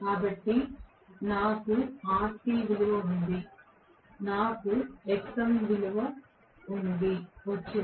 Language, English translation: Telugu, So, I have got rc value I have got xm value